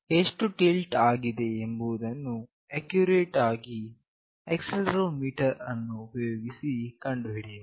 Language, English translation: Kannada, How much it is tilted can be accurately found out using the accelerometer